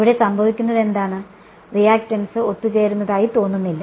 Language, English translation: Malayalam, And what happens over here is right the reactance does not seem to converge